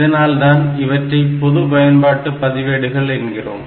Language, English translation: Tamil, So, they are called general purpose register